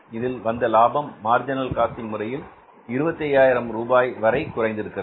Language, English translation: Tamil, This profit has come down under the marginal costing by a sum of rupees, 25,000 rupees